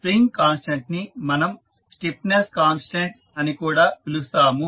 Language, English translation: Telugu, So, the spring constant we also call it as a stiffness constant